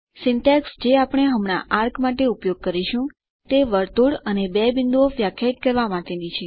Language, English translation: Gujarati, The syntax that we will use for arc now is to define the circle and the two points